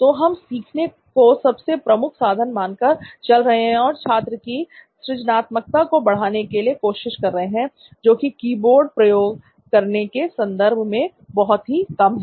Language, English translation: Hindi, So we are thinking it in terms of learning as the number 1 tool and trying to enhance the creativity of the student which is very meagre in terms of using a keyboard